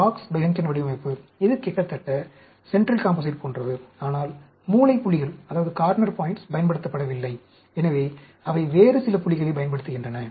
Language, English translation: Tamil, Box Behnken Design, this is also almost like central composite, but the corner points are not used; so, they use some other points